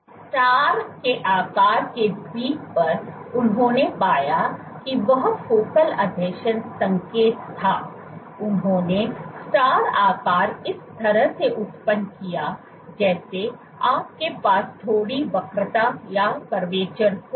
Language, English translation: Hindi, On the star shaped Island, what they found was the focal adhesion signal, they generated the star shape like this you have a slight curvature